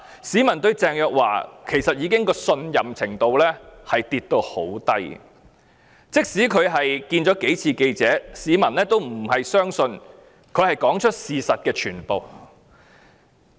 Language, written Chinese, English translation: Cantonese, 市民對鄭若驊的信任程度非常低，即使她幾次接受記者查詢，市民都不信她已說出事實的全部。, The public has a very low level of trust in Teresa CHENG . Even though she was questioned by the reporters several times the public do not believe that she has told all the facts